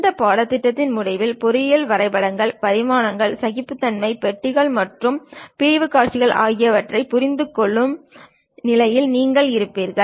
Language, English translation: Tamil, End of the course you will be in a position to understand from engineering drawings, the dimensions, tolerances, boxes and sectional views